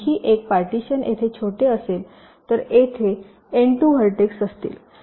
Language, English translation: Marathi, another partition which will be smaller: there will be n two vertices here